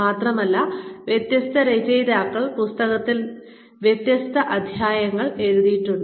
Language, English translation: Malayalam, And, different chapters have been written in the book, by different authors